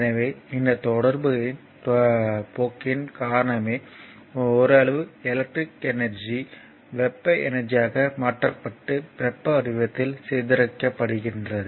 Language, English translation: Tamil, So, because of the your course of these interaction some amount of electric energy is converted to thermal energy and dissipated in the form of heat